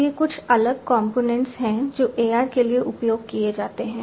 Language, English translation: Hindi, So, these are some of the different components that are used for AR